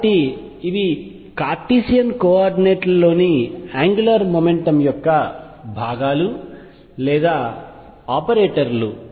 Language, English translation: Telugu, So, these are the components or the operators of angular momentum components in Cartesian coordinates